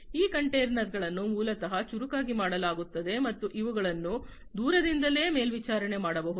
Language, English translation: Kannada, These containers are basically made smarter and they can be monitored remotely